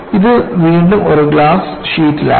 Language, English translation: Malayalam, This is again in a sheet of glass